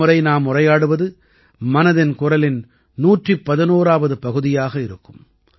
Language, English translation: Tamil, Next when we will interact with you in 'Mann Ki Baat', it will be the 111th episode of 'Mann Ki Baat'